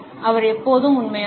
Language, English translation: Tamil, He is always genuine